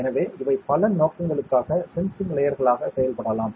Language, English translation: Tamil, So, these can act as sensing layers for a multiple purposes whatever